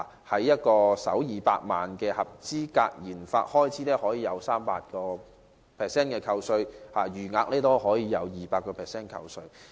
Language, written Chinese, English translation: Cantonese, 例如首200萬元合資格研發開支可獲 300% 扣稅，餘額則獲 200% 扣稅。, For example it has been proposed that the first 2 million eligible RD expenditure will enjoy a 300 % tax deduction with the remainder at 200 %